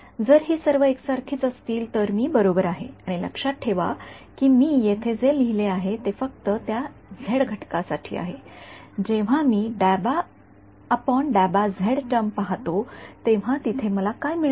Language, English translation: Marathi, If all of these guys were the same then I am right and remember what I have written here is only for the z component when I look at the d by d x term what will I get over there